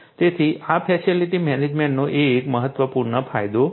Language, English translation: Gujarati, So, this is an important benefit of facility management